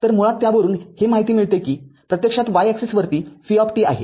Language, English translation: Marathi, So, basically from that you can find out actually y axis is v t